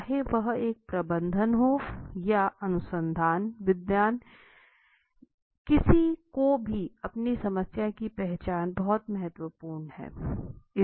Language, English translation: Hindi, Whether it be a manager or be research scholar or anybody or you need to identify your problem and once you have identified your problem